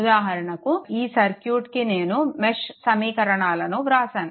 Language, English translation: Telugu, So for example, here I have written for your this thing mesh equation